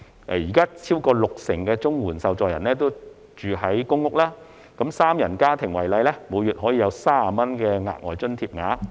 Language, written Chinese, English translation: Cantonese, 現時超過六成綜援受助人居於公屋，以一個三人家庭為例，每月約有30元的額外津貼額。, At present over 60 % of CSSA recipients are living in public rental housing PRH . For example a three - member household will receive an additional allowance of about 30 per month